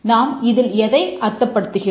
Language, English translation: Tamil, Let's see what we mean by that